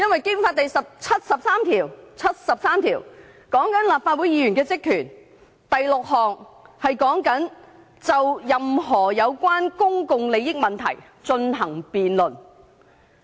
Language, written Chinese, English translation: Cantonese, 《基本法》第七十三條和立法會議員的職權有關，其中第六項訂明，我們須就任何有關公共利益問題進行辯論。, Article 73 of the Basic Law is about the powers and functions of Members of the Legislative Council and it is stipulated in Article 736 that we have to debate any issue concerning public interests